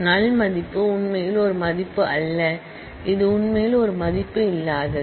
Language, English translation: Tamil, The null value is not actually a value; it is actually an absence of a value